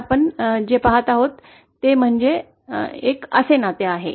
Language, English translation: Marathi, But what we are actually observing is a relationship like this